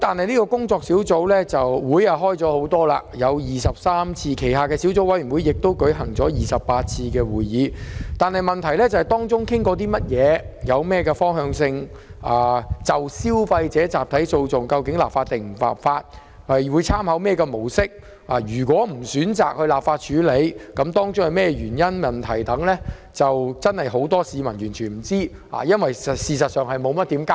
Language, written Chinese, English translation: Cantonese, 雖然該工作小組召開了多達23次會議，其下的小組委員會亦已舉行28次會議，但會議討論了甚麼、有何方向、會否就消費者集體訴訟立法、會參考何種模式，以及若不選擇立法又有何原因等，市民一無所知，因為政府無甚交代。, Although the Working Group has met as many as 23 times and its subcommittee has also held 28 meetings members of the public know nothing about the discussions made at meetings the direction of development whether legislation will be enacted for consumer class actions what kind of mode will be taken into consideration and if legislation will not be enacted the reasons for that . The Government has not disclosed any information